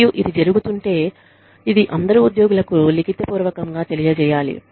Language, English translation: Telugu, And, if it is being done, then this should be communicated, to all employees, in writing